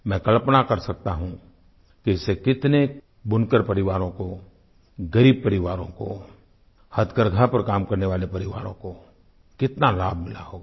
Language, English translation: Hindi, I can imagine how many weaver families, poor families, and the families working on handlooms must have benefitted from this